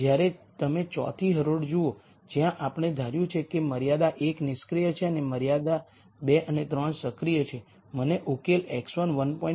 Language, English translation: Gujarati, When you look at row 4, where we have assumed constraint 1 is inactive and 2 and 3 are active, I get a solution x 1 1